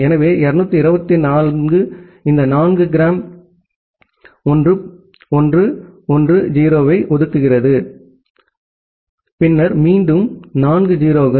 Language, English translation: Tamil, So, 224 corresponds to these four g 1 1 1 0 followed by again four 0’s